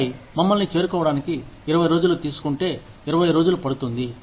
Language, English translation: Telugu, And then, if it takes 20 days to reach us, it takes 20 days